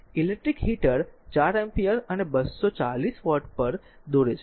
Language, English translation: Gujarati, An electric heater draws 4 ampere and at 240 volt